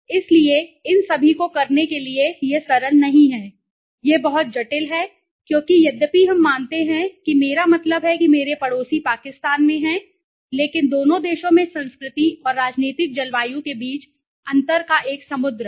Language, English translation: Hindi, So, to do all these to all these it is not simple it is very complicate because although we are suppose I mean in Indian my neighbor is Pakistan but there is a sea of difference between the culture in the two countries and the political climate okay